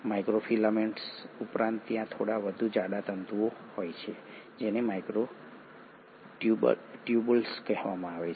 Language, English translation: Gujarati, In addition to microfilaments, there are slightly more thicker filaments which are called as microtubules